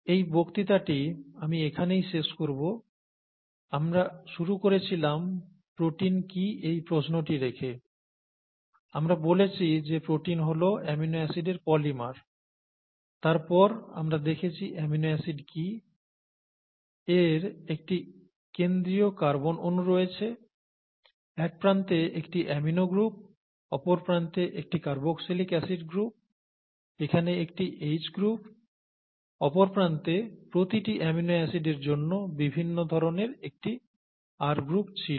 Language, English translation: Bengali, I think we will stop here for this particular lecture, we saw, we started out by asking what proteins were, then we said that proteins are polymers of amino acids, then we saw what amino acids were, it has a central carbon atom, an amino group on one side, a carboxylic acid group on the other side, so amino acid, and then you have a H group here, and various different types of R groups, one for each amino acid on the other side